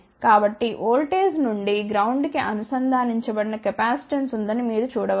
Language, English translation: Telugu, So, you can see that there is a capacitance connected from the voltage to the ground